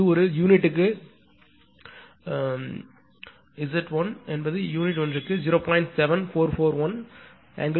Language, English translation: Tamil, It is in per unit right Z 1 is 0